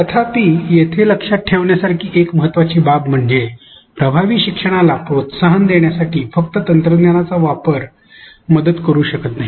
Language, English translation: Marathi, However, an important thing to remember here is that mere use of technology cannot help in promoting effective learning